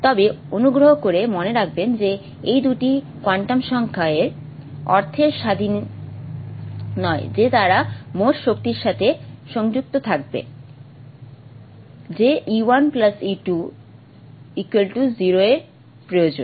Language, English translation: Bengali, But please remember these two quantum numbers are not independent in the sense they are connected to the total energy